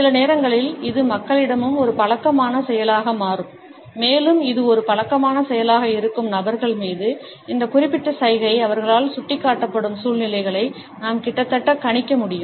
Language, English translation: Tamil, Sometimes it becomes a habitual action also with people, and over those people with whom it is a habitual action, we can almost predict situations in which this particular gesture would be indicated by them